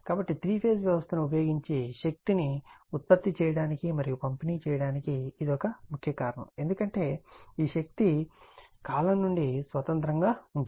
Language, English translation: Telugu, So, this is one important reason for using three phase system to generate and distribute power because of your, this is power what you call independent of the time